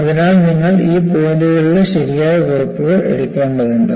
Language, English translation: Malayalam, So, you need to take proper notes of these points